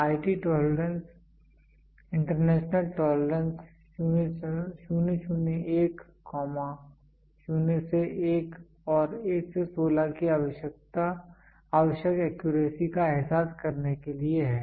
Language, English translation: Hindi, IT tolerance International Tolerance of 001, 0 to 1 to 16 to realize that required accuracy